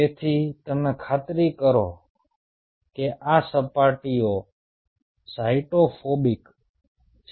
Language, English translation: Gujarati, ok, so you are kind of ensuring that these surfaces are cyto phobic